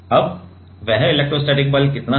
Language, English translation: Hindi, So, this is the electrostatic force